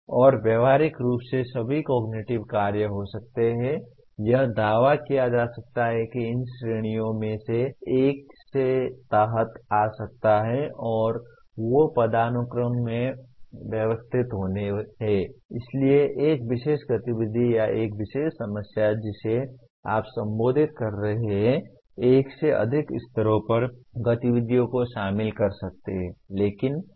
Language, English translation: Hindi, And practically all cognitive actives can be it is claimed can be can come under one of these categories and they are hierarchically arranged so a particular activity or a particular problem that you are addressing may involve activities at more than one level